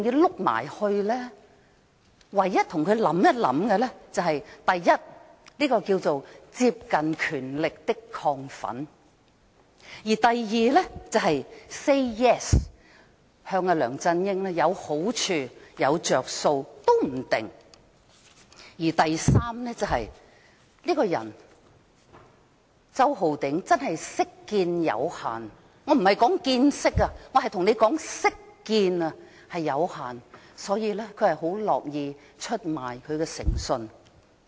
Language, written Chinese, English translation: Cantonese, 我們唯一想到的是，這是"接近權力的亢奮"；第二，可能向梁振英 "say yes" 會有好處和着數；第三，周浩鼎議員這個人識見有限——我不是說"見識"，而是說"識見"——所以他很樂意出賣誠信。, The reasons we can think of are first the excitement of getting close to people in power; second saying yes to LEUNG Chun - ying may get some advantages and benefits; third Mr Holden CHOW has limited knowledge and experience so he is happy to sell his credibility